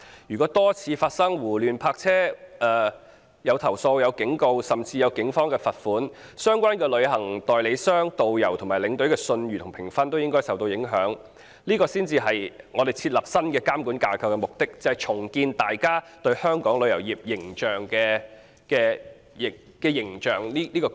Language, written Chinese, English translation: Cantonese, 如果多次發生胡亂泊車，遭到投訴、警告甚至被警方罰款，相關的旅行代理商、導遊和領隊的信譽和評分都應該因此受到影響，這才是設立新監管架構的目的：重建大家對香港旅遊業的良好印象。, If there are frequent occurrence of indiscriminate parking complaints warnings and even fined imposed by the Police the reputation and rating of the relevant travel agents tourist guides and tour escorts should all be affected accordingly so as to meet the objective of setting up a new regulatory framework to re - establish positive public perception of the tourism industry of Hong Kong